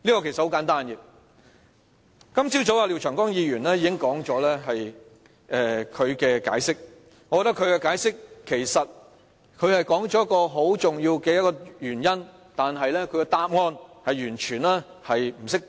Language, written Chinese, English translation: Cantonese, 很簡單，今早廖長江議員已作解釋，雖然他說出一個很重要的原因，但他的答案卻完全不適當。, My reason here is very simple . This morning Mr Martin LIAO explained his amendment . He gave an important reason but his explanation was totally inappropriate